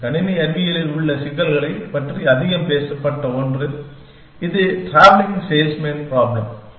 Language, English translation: Tamil, One of the most talked about problems in computer science, which is the tabling salesman problem